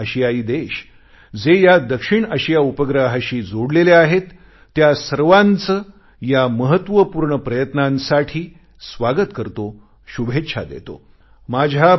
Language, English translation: Marathi, I welcome all the South Asian countries who have joined us on the South Asia Satellite in this momentous endeavour…